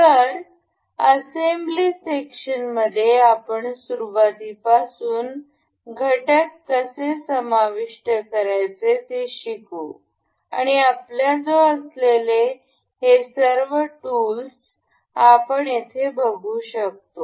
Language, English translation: Marathi, So, in assembly section we will learn to learn to learn from elementary to how to insert components and learn all of these tools that we have we can see over here